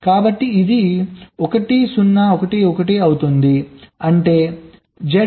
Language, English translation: Telugu, so it becomes one zero, one, one one that is z